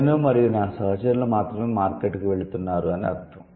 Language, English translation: Telugu, It's only me and my colleagues are going to market